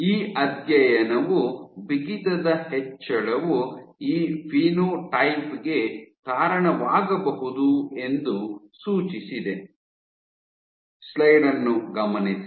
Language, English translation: Kannada, So, this study suggested that your increase in stiffness might be leading to this phenotype